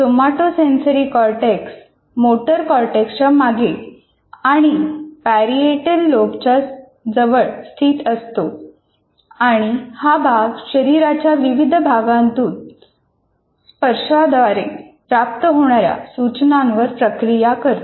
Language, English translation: Marathi, And somatosensory is located behind motor cortex and close to the parietal lobe and process touch signals received from various parts of the body